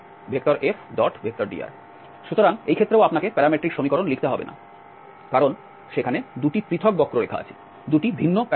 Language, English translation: Bengali, So, in this case also you do not have to write the parametric equation because there are 2 separate curves there 2 different parabola